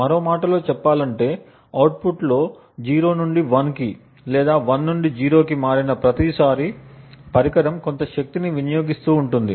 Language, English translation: Telugu, In other words, every time there is a transition in the output from 0 to 1 or 1 to 0, there is some power consumed by the device